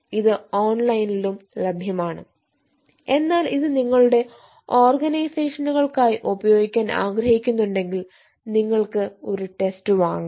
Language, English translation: Malayalam, this is available online also, but if you want to make use of for your organizations, eh, you can buy a test